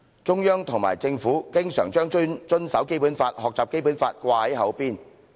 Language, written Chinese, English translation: Cantonese, 中央及政府經常把遵守《基本法》、學習《基本法》掛在口邊。, The Central Authorities and the Government always talk about the need to comply with the Basic Law and learn more about the Basic Law